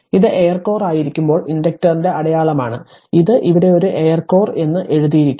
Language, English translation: Malayalam, This one your this one your e this is the sign of inductor when it is air core it is here it is written figure a air core